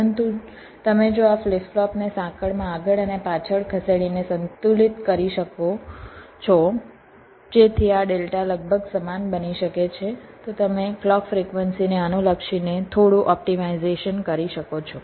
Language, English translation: Gujarati, but you, we, if you can balance this out by moving this flip pops forward and backward in the change such that this deltas can become approximately equal, then you can carry out some optimization with respective to the clock frequency